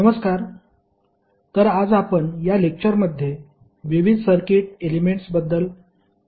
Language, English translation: Marathi, Namaskar, so today we will discussed about the various circuit elements in this lecture